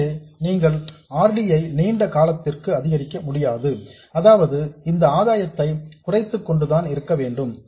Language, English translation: Tamil, So you can't increase RD indefinitely, which means that you have to live with this reduction in gain